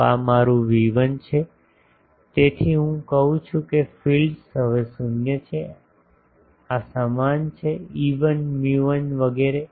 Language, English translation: Gujarati, So, this is my V1 so I say fields are now 0 0 these are same epsilon 1 mu 1 etc